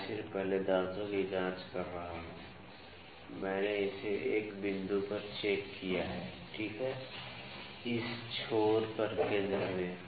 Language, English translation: Hindi, So, I am just checking the first teeth I have checked it at 1 point, ok, at this end at the centre